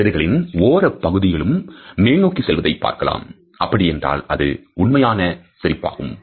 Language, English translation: Tamil, See the two lip corners going upwards first slightly and then even more you know that is a genuine smile